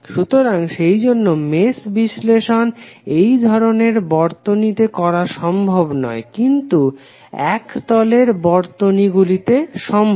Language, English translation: Bengali, So that is why the mesh analysis cannot be done for this type of circuits but it can be done for planar circuits